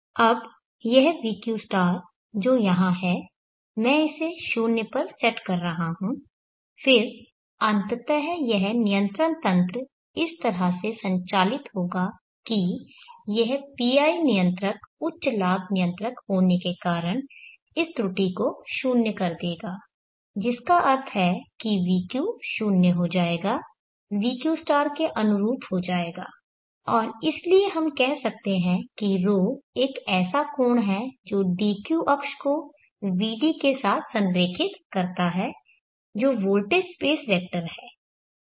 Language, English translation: Hindi, Now this vq* here I am setting it to 0 then eventually this control mechanism will operate in such a way that this PI controller being high gain controller will make this error 0 which means vq will become 0 match with the vq* and therefore we can say that the